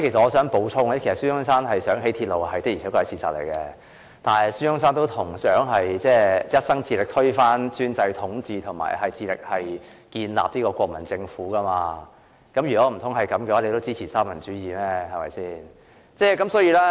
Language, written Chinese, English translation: Cantonese, 我想補充指出，孫中山希望興建鐵路是事實，但孫中山也同時畢生致力推翻專制統治和建立國民政府，難道該位同事也支持三民主義？, I would like to add that SUN Yat - sens support for the construction of railway is a fact but SUN Yat - sen has also dedicated his whole life on overthrowing autocratic rule and establishing the Nationalist Government . Does the Member also support the Three Principles of the People?